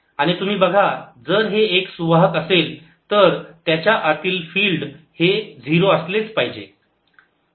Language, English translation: Marathi, now you see, if this is a conductor, field inside has to be zero